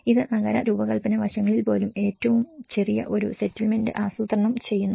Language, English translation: Malayalam, This brings even the urban design aspects into a smallest, planning a settlement